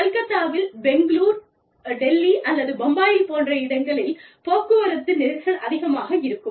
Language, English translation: Tamil, Traffic jams in Calcutta, or these days, even Bangalore, or sometimes, even Delhi, or Bombay, are notorious